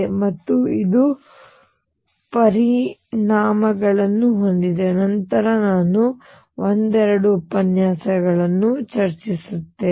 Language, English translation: Kannada, And this has implications which I will discuss a couple of lectures later